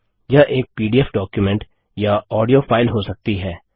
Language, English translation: Hindi, It could be a PDF document or an audio file